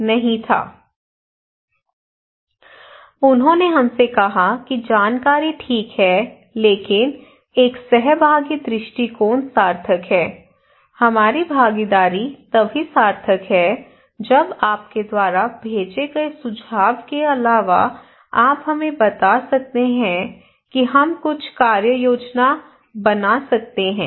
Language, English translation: Hindi, So they said to us that information is fine but a participatory approach is meaningful, our participation is meaningful only when apart from informations you go beyond that you can tell us that what we can do some plan actionable plan